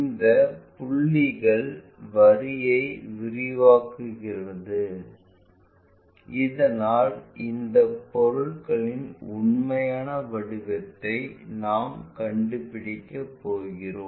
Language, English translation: Tamil, Extend these points line so that we are going to locate that true shape of that object